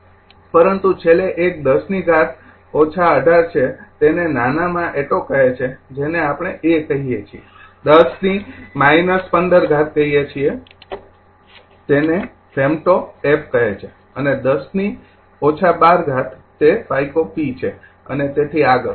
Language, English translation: Gujarati, But last one is 10 to the power minus 18 it is call atto in small a we call a, 10 to the power minus 15 it is called femto f and 10 to the power minus 12 it is pico p and so on